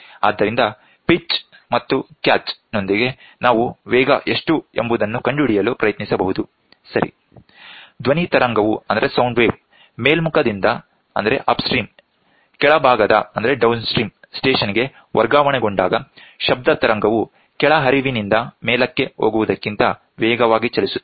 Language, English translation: Kannada, So, with the pitch and catch we can try to figure out what is the velocity, right, when the sound wave is transmitted from the upstream to the downstream station, the sound wave travels faster than going from downstream to upstream